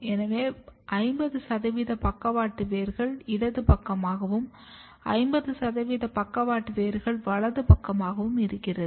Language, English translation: Tamil, So, you can see that around 50 percent lateral roots are coming towards left side, 50 percents are coming towards right side